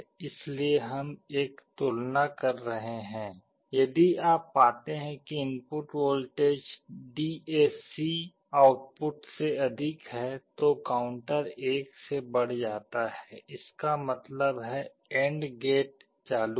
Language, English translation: Hindi, So, we are making a comparison, if you find that the input voltage is greater than the DAC output then the counter is incremented by 1; that means, the AND gate is enabled